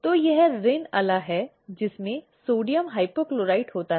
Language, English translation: Hindi, So, this is Rin Ala which contains sodium hypochlorite